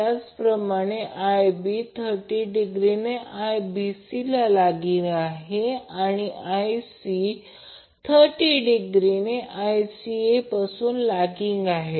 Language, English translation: Marathi, Similarly Ib will be lagging by 30 degree from Ibc and Ic will be lagging 30 degree from Ica